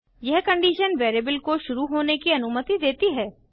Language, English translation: Hindi, This condition allows the variable to be initialized